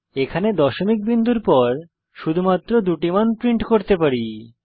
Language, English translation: Bengali, It denotes that we can print only two values after the decimal point